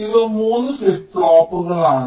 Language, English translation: Malayalam, these are the three flip flops